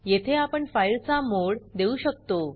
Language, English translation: Marathi, Here we can give the mode of the file